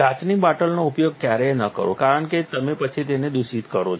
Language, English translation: Gujarati, Never use the glass bottles because then you contaminate them